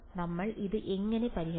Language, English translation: Malayalam, How will we solve this